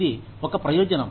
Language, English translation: Telugu, It is a benefit